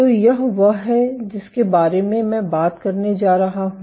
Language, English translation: Hindi, So, this is what I am going to talk about today